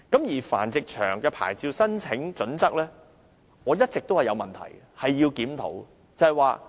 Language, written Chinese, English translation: Cantonese, 至於繁殖場的牌照申請準則，我一直認為有問題，需要檢討。, As for the application criteria for a breeding farm licence I have long since found them problematic and in need of a review